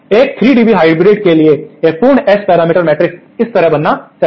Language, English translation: Hindi, A complete S parameter matrix for a 3 dB hybrid should become like this